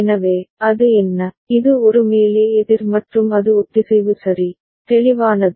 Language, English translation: Tamil, So, what is it, it is a up counter and it is synchronous ok, clear